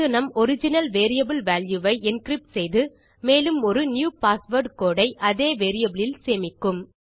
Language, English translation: Tamil, This will encrypt our original variable value and store a new password code in the same variable